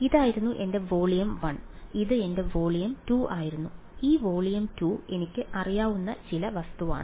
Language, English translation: Malayalam, This was my volume 1; this was my volume 2 and this volume 2 is some object which I know